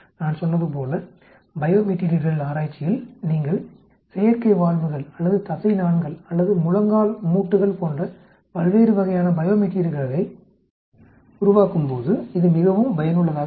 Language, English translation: Tamil, Like I said, it is extremely useful in bio material research, when you are making various types of bio materials like artificial valves or tendons or some of the knee joints